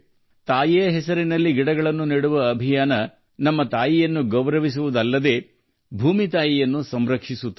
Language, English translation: Kannada, The campaign to plant trees in the name of mother will not only honor our mother, but will also protect Mother Earth